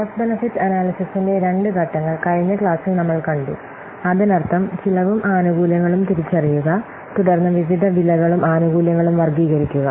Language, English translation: Malayalam, Last class we have seen these two phases of cost benefit analysis, that means identifying the cost and benefits, then categorizing the various cost and benefits